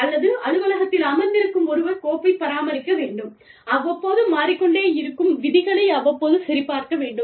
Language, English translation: Tamil, Or, somebody sitting in an office, has to maintain the file, and has to keep checking, the rules from time, which keep changing, from time to time